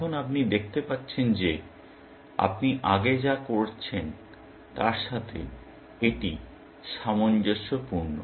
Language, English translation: Bengali, Now, you can see this is consistent with what you were doing earlier